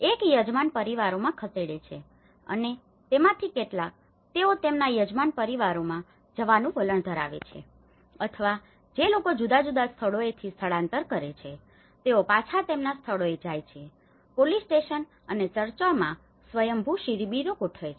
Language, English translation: Gujarati, One is move to the host families and some of them, they tend to move to their host families or like people who are migrants from different places, they go back to their places, setup spontaneous camps in police stations and churches